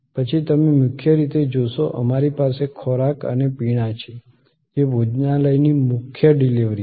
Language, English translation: Gujarati, Then you see at the core, we have food and beverage that is the main core delivery of the restaurant